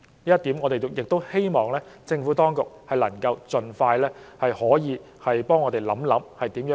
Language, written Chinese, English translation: Cantonese, 就此，我們希望政府當局可以盡快想法子，作出妥善安排。, In this connection we hope that the Administration will expeditiously think up some solutions and make proper arrangements